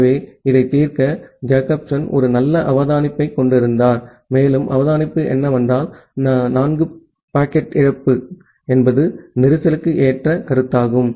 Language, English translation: Tamil, So, to solve this, Jacobson had a nice observation, and the observation was that he found that well packet loss is a suitable notion for congestion